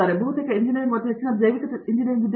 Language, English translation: Kannada, So, mostly from engineering and now I am becoming mostly a biological